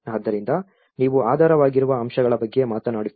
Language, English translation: Kannada, So that is where you are talking about the underlying factors